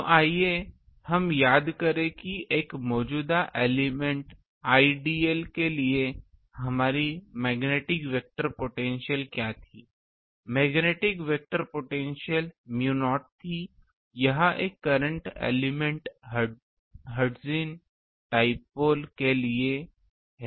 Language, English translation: Hindi, So, let us recall that for a current element ideal what was our magnetic vector potential magnetic vector potential was mu naught; this is for current a current element hertzian dipole